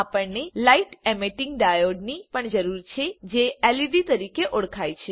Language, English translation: Gujarati, We also need a Light Emitting Diode, know as LED